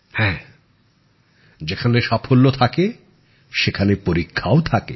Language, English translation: Bengali, Where there are successes, there are also trials